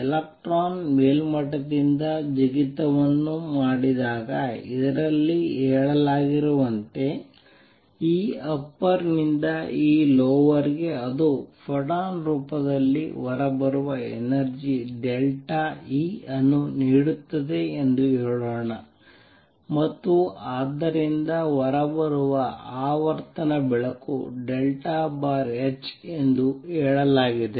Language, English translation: Kannada, All that has been said in this is when an electron makes a jump from an upper level let us say an E upper to E lower it gives out an energy delta E which comes out in the form of a photon and therefore, the frequency of the out coming light is delta E over h that is all that has been said